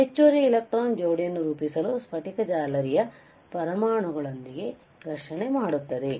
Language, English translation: Kannada, They collide with the atoms of the crystal lattice to form additional electron pair